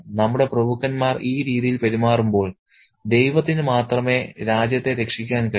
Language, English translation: Malayalam, When our aristocracy is behaving in this manner, God alone can save the country